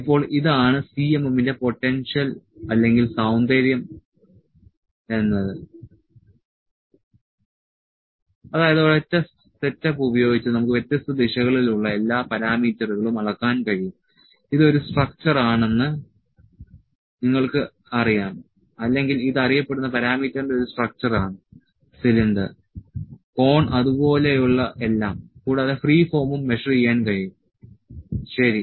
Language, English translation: Malayalam, Now, this is the potential or the beauty of the CMM that we can by using a single setup, we can measure all the parameters in different directions in different, you know this is a structure or this is a structure of the known parameter cylinder, cone all those things also free form can be measured, ok